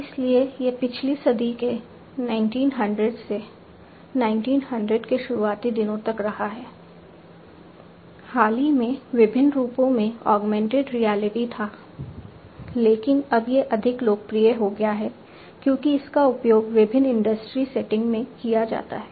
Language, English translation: Hindi, So, it has been there since the last century 1900 early 1900 till recently augmented reality in different forms was there, but now it has become much more popular, because of its use in different industry settings and different other settings, as well